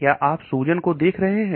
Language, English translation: Hindi, Are you looking at inflammation